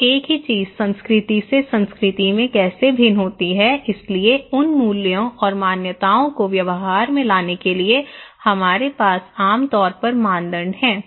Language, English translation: Hindi, So, how the same thing varies from culture to culture, so in order to put those values and beliefs into practice, we have generally norms